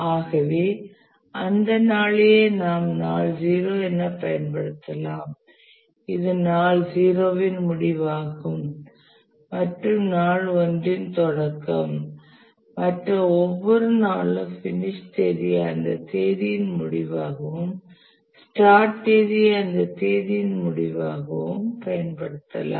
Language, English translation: Tamil, So that is the notation we will use the day 0 is end of day 1 and for every other day also we will use the finish date is end of day 0, start of day 1